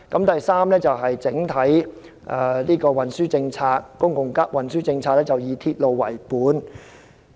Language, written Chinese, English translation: Cantonese, 第三是整體公共運輸政策以"鐵路為本"。, The third is the overall public transport policy which is based on a railway - oriented concept